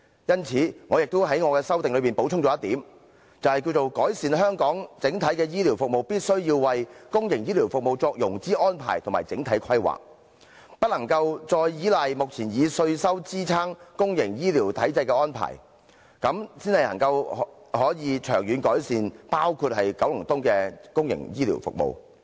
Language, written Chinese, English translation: Cantonese, 因此，我在修正案補充一點，便是改善香港整體醫療服務，必須為公營醫療服務作融資安排及整體規劃，不可繼續依賴目前以稅收支撐公營醫療體制的安排，這樣才能長遠改善包括九龍東的公營醫療服務。, Hence in my amendment I supplement that public healthcare services of Hong Kong should be enhanced as a whole financing and overall planning for public healthcare services must be made and that the authorities should stop relying on the present arrangement of supporting the healthcare system with tax revenue solely for only by doing so will public healthcare services in Kowloon East be enhanced in the long run